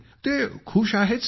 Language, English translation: Marathi, Everyone is happy Sir